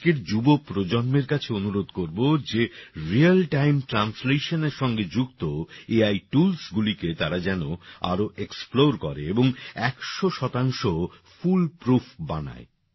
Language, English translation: Bengali, I would urge today's young generation to further explore AI tools related to Real Time Translation and make them 100% fool proof